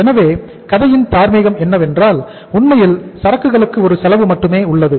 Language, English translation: Tamil, So it means the moral of the story is that despite the fact inventory has a cost only